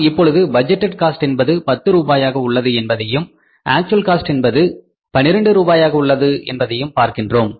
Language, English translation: Tamil, So now we have to see that budgeted cost of the product is 10 rupees per unit and then actual cost here is that is 12 rupees per unit